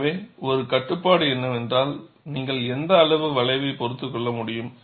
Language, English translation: Tamil, So, one of the restrictions is, what amount of curvature can you tolerate